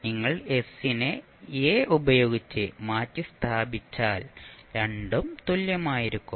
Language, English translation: Malayalam, If you replace s by s by a both will be same